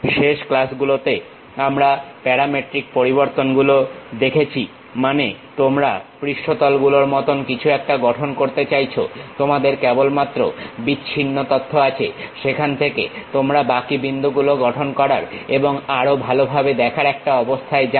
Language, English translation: Bengali, In the last classes, we have seen parametric variations means you want to construct something like surfaces, you have only discrete information, from there one will be in aposition to really construct remaining points and visualize in a better way